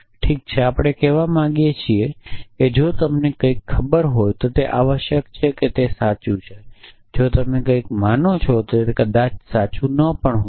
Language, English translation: Gujarati, Well, we would like to say that if you know something it is necessarily true if you believe something it may not necessarily be true